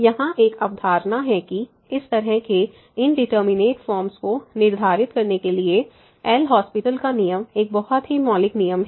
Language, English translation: Hindi, So, there is a concept here the L’Hospital’s rule a very fundamental rule for determining such a indeterminate forms